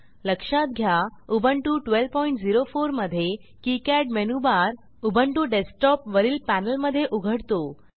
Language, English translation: Marathi, Note that in Ubuntu 12.04, the menu bar of KiCad appears on the top panel of Ubuntu desktop